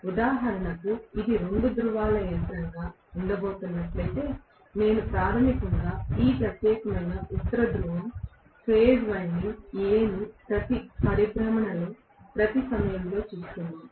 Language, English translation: Telugu, So, for example, if it is going to be a two pole machine, I am going to have basically this particular North Pole facing the phase winding A every revolution, during every revolution